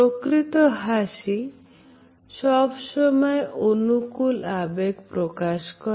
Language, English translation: Bengali, A smile is never expressive of a single emotion